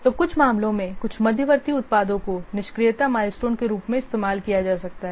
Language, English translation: Hindi, So, in some cases some intermediate products can be used as inactivity milestones